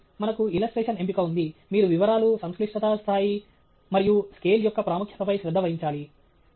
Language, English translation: Telugu, So, we have a choice of illustration you need to pay attention to details, a level of complexity, and importance of scale